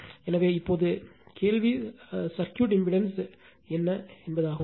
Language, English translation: Tamil, So, now question is impedance of the circuit